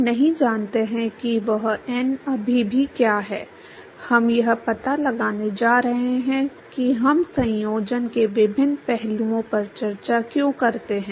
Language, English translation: Hindi, We do not know what that n is still now we are going to figure that out why we discuss different aspects of conjunction